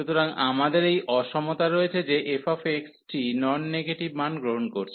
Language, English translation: Bengali, So, we have this inequality that f x is taking in non negative values